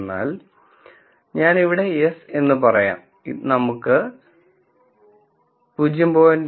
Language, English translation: Malayalam, So, I could have yes let us say 0